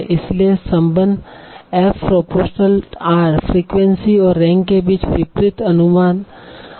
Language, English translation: Hindi, So a inversely between the frequency and the rank